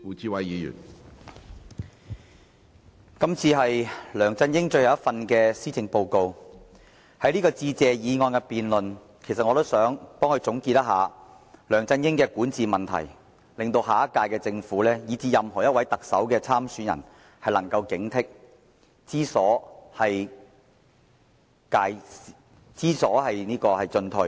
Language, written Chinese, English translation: Cantonese, 主席，今次是梁振英的最後一份施政報告，在致謝議案的辯論中，我想總結一下梁振英的管治問題，致令下屆政府以至任何一位特首參選人也能有所警惕，知所進退。, President this is the last Policy Address by LEUNG Chun - ying . In this debate on the Motion of Thanks I would like to consolidate the governance problems of LEUNG Chun - yin so that the next Government as well as all aspirants of the Chief Executive Election will be vigilant about these and know when to proceed forward and when to hold back